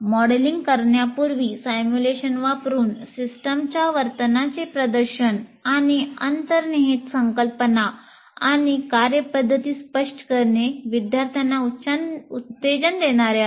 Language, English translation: Marathi, Demonstration of behavior of the system using simulation before modeling and explaining the underlying concepts and procedures is greatly motivating the students